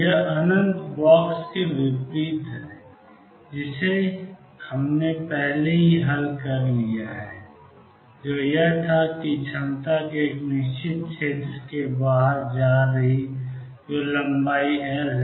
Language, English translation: Hindi, This is in contrast to the infinite box that we have already solved which was that the potential was going to infinity outside a certain area which is of length L